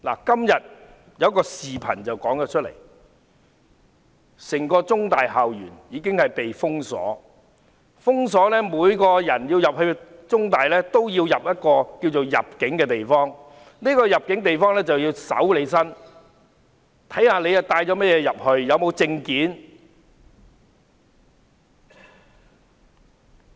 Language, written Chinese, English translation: Cantonese, 今天有一段視頻，看到整個香港中文大學的校園已被封鎖，每個人進入中大也須通過一個稱為"入境"的地方，要接受搜身，看看你帶甚麼物品進去、有沒有證件。, I watched another video clip today . The entire Chinese University campus was blocked from entry . Anyone who wished to enter had to pass through an immigration where their bodies and belongings were searched and their identity documents checked